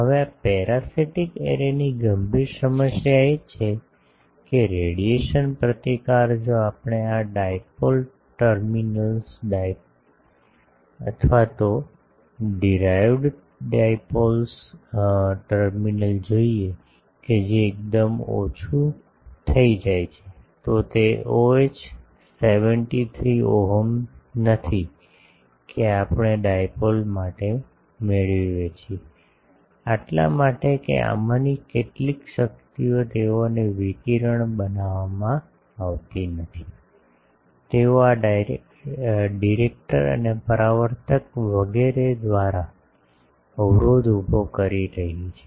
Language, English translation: Gujarati, Now, the serious problem of a this parasitic array is, that the radiation resistance if we look at this dipoles terminals, the driven dipoles terminal that becomes quite less, it is not the 73 ohm that we get for a dipole; that is because some of this energies they are not radiated, they are getting obstructed by this directors and reflectors etc